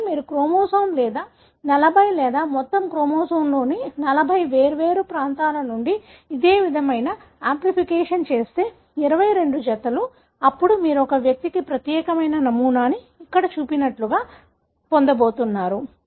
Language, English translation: Telugu, But, if you do this similar kind of amplification from 40 different such regions of the chromosome or 40, or all the, each one of the chromosome, 22 pairs, then you are going to get a pattern which is unique to a given individual like, something like shown here